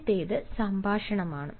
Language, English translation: Malayalam, first is conversation